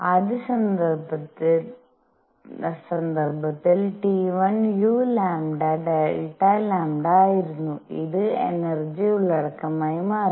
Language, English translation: Malayalam, In the first case, T 1 was u lambda delta lambda and this became energy content